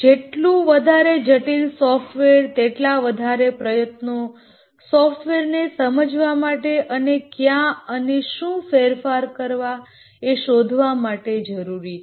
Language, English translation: Gujarati, The more complex is a software, the more time effort is necessary to understand the software and find out where exactly and what change needs to occur